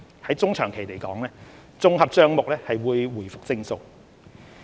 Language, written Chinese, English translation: Cantonese, 在中長期而言，綜合帳目會回復正數。, In the medium to long term the Consolidated Account would return to positive